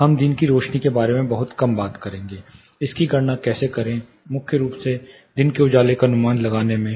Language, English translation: Hindi, We will talk little bit about day lighting, how to calculate it, primarily about estimating day lighting